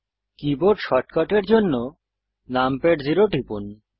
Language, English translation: Bengali, For keyboard shortcut, press numpad 0